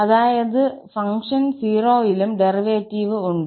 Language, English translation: Malayalam, That means the function has derivative at 0 as well